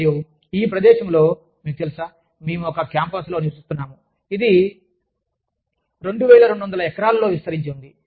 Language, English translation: Telugu, And, in this place, you know, we live in a campus, that has the, that is spread over, 2200 acres